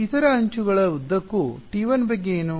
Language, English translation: Kannada, What about T 1 along the other edges